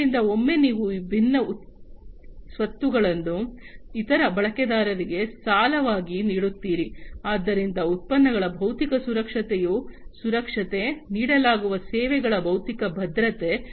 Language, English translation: Kannada, So, once you lend out these different assets to other users, so security of the physical security of the products, the physical security of the services that are offered